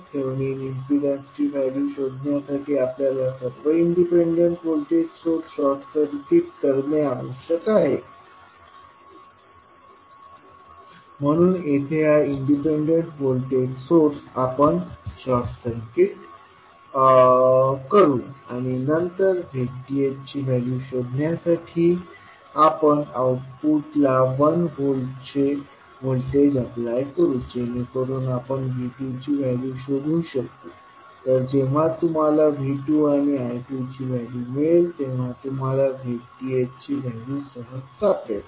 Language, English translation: Marathi, To find out the value of Thevenin impedance we need to short circuit all the independent voltage source, so you here this independent voltage source we will short circuit and then to find out the value of Z Th we will apply one voltage at the output port so that we can find the value of V 2, so when you get the value of V 2 and I 2 you can simply find out the value of Z Th